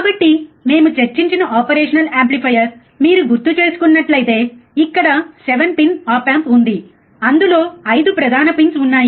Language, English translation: Telugu, So, if you remember the operation amplifier we have discussed, there are 5 main pins of course, there 7 pin op amp